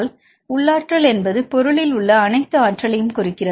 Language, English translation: Tamil, So, internal energy represents all the energy contained in the material